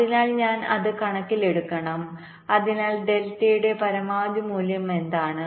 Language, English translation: Malayalam, so what is the maximum value of delta